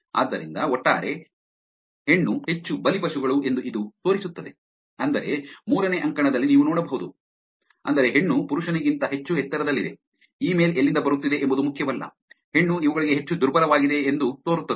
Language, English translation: Kannada, So, this shows that overall female were more victims which is you can see on the third column, which is to female being much higher than to male, it does not matter where the email is coming from, female seems to be more vulnerable to these kind of attacks